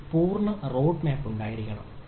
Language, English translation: Malayalam, it is a full road map, have to be there